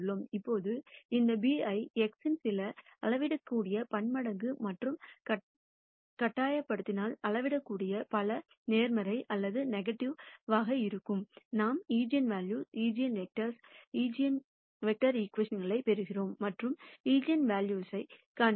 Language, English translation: Tamil, Now if we force this b to be lambda x some scalar multiple of x itself, where the scalar multiple could be either positive or nega tive, we get the eigenvalue eigenvector equation and to calculate the eigenvalue